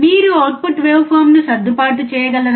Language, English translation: Telugu, Can you please adjust the output wave form